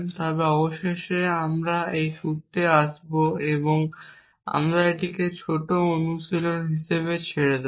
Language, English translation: Bengali, But eventually we will come to this formula and I will leave that as a small exercise